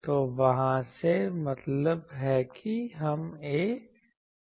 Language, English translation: Hindi, So, from there we have so that means A we know